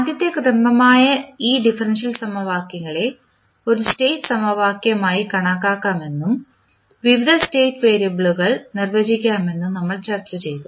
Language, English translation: Malayalam, And, then we also discussed that these differential equations which are first order in nature can be considered as a state equation and we can define the various state variables